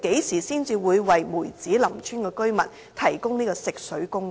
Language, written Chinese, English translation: Cantonese, 何時才會為梅子林村居民提供食水供應？, When will the Government provide potable water supply to the residents of Mui Tsz Lam Village?